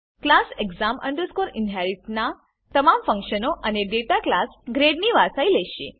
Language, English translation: Gujarati, All the functions and data of class exam inherit will be inherited to class grade